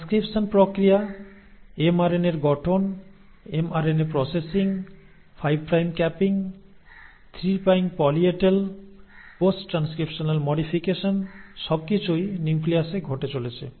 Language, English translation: Bengali, The process of transcription, formation of mRNA processing of mRNA, 5 prime capping, 3 prime poly A tail, post transcriptional modifications, all that is happening in the nucleus